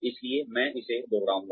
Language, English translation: Hindi, So, I will repeat this